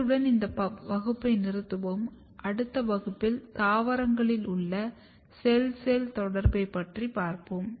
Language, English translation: Tamil, Thank you very much we will stop here and in next class we will discuss about the cell cell communication in plants